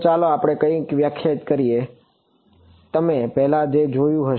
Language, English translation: Gujarati, So, let us define something which you have already seen before ok